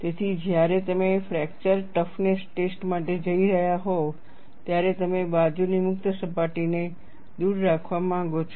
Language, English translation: Gujarati, So, when you are going in for fracture toughness testing, you would like to have the lateral free surface far away